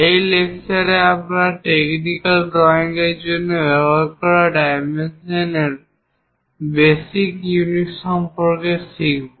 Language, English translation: Bengali, In today's, we will learn about basic units of dimensions to be use for a technical drawing